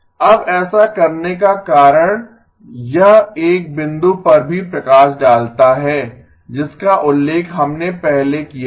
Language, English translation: Hindi, Now the reason for doing this also highlights one point that we had mentioned earlier